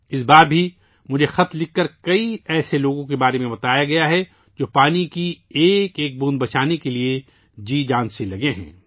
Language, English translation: Urdu, This time too I have come to know through letters about many people who are trying their very best to save every drop of water